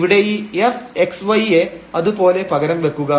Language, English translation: Malayalam, And then F y is equal to 0